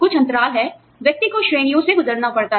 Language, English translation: Hindi, There is some lag, the person has to go through the ranks